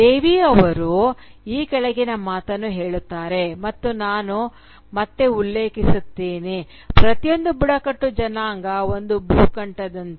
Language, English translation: Kannada, ” Devi then goes on to add that, and I quote again, “Each tribe is like a continent